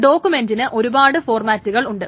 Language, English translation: Malayalam, So these are, so there are different document formats